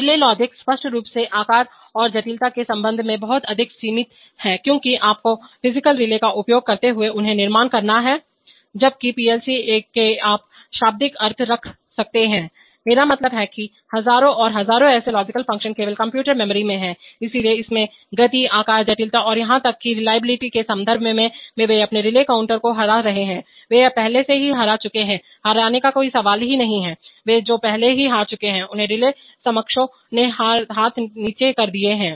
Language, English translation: Hindi, Relay logic is obviously much more limited in terms of size and complexity because you have to construct them using physical relays while in, while PLC’s you can literally put, I mean, thousands and thousands of such logical functions merely in computer memories, so there in terms of speed, size, complexity and even reliability, they are beating their relay counter, they have already beaten, no question of beating they have already beaten, their relay counterparts hands down